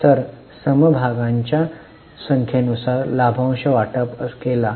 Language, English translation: Marathi, So, dividend distributed upon number of shares